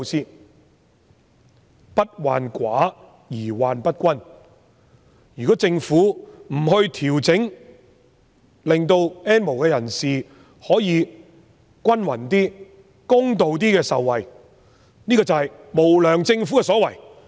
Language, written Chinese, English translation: Cantonese, 所謂"不患寡而患不均"，如果政府不作調整，令到 "N 無人士"可以得到一些公平合理的受惠，這就是無良政府的所為。, As the problem lies not in shortage but in unequal distribution if the Government does not make adjustments to enable the N have - nots to obtain some fair and reasonable benefits it is callous